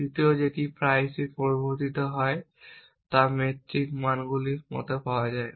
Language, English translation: Bengali, The third that is often introduced is found is like metric values